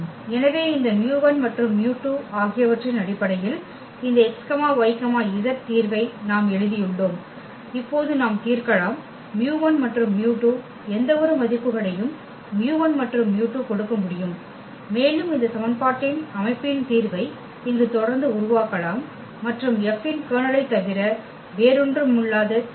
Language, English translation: Tamil, So, we have written this x, y, z the solution in terms of this mu 1 and mu 2 we can play now mu 1 mu 2 can give any values to mu 1 and mu 2 and we can keep on generating the solution here of this system of equation and the solution that is nothing but the Kernel of F